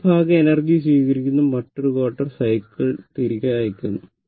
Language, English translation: Malayalam, So, this each part, it is receiving energy another cycle another quarter